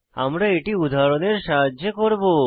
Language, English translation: Bengali, We will do this with the help of examples